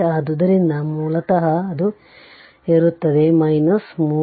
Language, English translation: Kannada, So, basically it will be your 3